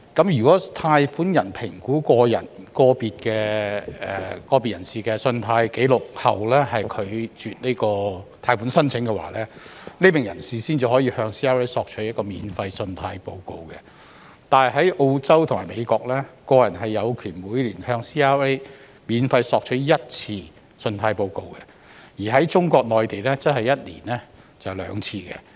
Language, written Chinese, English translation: Cantonese, 如果貸款人在評估個別人士的信貸紀錄後拒絕貸款申請，該名人士才可向 CRA 免費索取信貸報告，但在澳洲和美國，個人有權每年向 CRA 免費索取信貸報告一次，而中國內地則是每年兩次。, An individual loan applicant may obtain a free credit report from CRA only when his loan application is rejected by the lender after credit record assessment . However in Australia and the United States an individual is entitled to obtain one free credit report from CRAs every year whereas in the Mainland of China an individual is entitled to two such reports per year